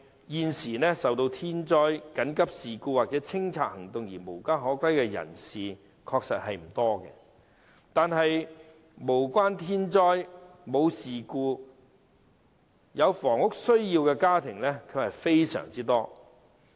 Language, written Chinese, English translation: Cantonese, 現時受到天災、緊急事故或清拆行動而無家可歸的人士確實不多，但無關天災、事故卻有房屋需要的家庭非常多。, At present there are indeed not many people rendered homeless as a result of natural disasters emergencies or clearance actions yet there are a large number of households with housing needs other than the above reasons